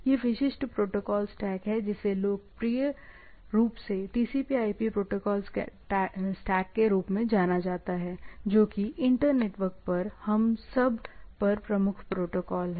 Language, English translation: Hindi, This is the, this is the typical protocol stack popularly referred at TCP/IP protocol stack which are, which is the predominant protocol across this over all, over inter network, right